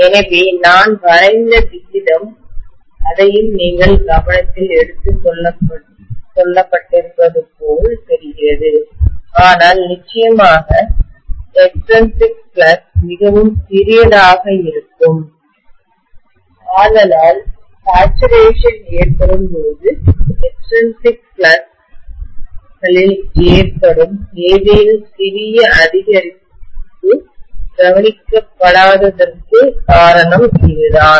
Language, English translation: Tamil, So the way I have drawn it it looks as though that is also you know taken into consideration but definitely the extrinsic flux is going to be really really small, that is the reason why when the saturation occurs, any little increase in the extrinsic flux is not noticeable at all